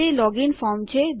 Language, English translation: Gujarati, It is a login form